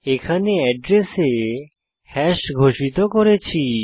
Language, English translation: Bengali, Here we have declared hash of address